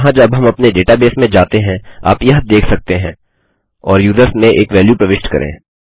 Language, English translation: Hindi, You can see this when we enter our database here and insert a value into users